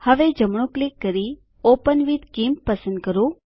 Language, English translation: Gujarati, Now, right click and select Open with GIMP